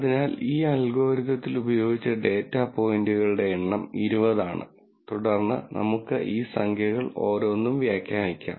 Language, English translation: Malayalam, So, the number of data points that were used in this algorithm are 20 and then we could interpret each one of these numbers